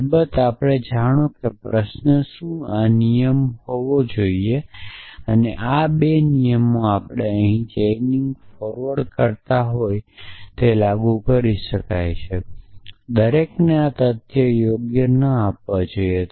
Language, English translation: Gujarati, Of course, know the question is shall should this rule and this these 2 rules can we apply forward chaining here to that everyone should diet not given these facts right